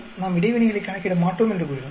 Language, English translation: Tamil, We said we will not calculate interaction